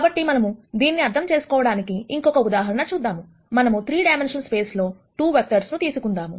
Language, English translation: Telugu, So, let us take an example to understand this, let us take 2 vectors in 3 dimensional space